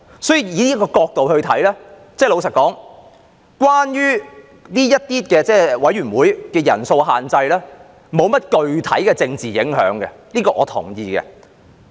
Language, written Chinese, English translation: Cantonese, 從這角度來看，老實說，這些委員會的人數限制並沒有甚麼具體的政治影響，這點我是同意的。, From this perspective frankly speaking the size limit of these committees does not have any specific political implications and I agree to this